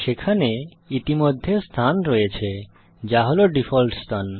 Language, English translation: Bengali, There is already a location which is the default location